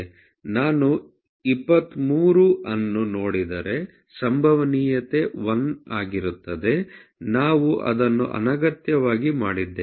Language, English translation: Kannada, If I go about 23 the probability all going to be 1, we have just made that redundant